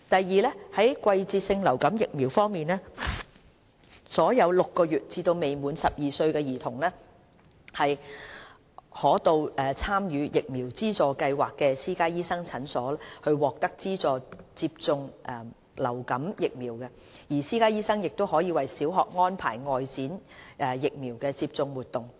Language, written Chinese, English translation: Cantonese, 二在季節性流感疫苗方面，所有6個月至未滿12歲兒童可到參與疫苗資助計劃的私家醫生診所獲得資助接種流感疫苗，私家醫生亦可為小學安排外展疫苗接種活動。, 2 Regarding seasonal influenza vaccination children aged 6 months to less than 12 years can receive subsidized vaccination at the clinics of private doctors enrolled in the Vaccination Subsidy Scheme VSS . These private doctors can also organize outreach vaccination activities in primary schools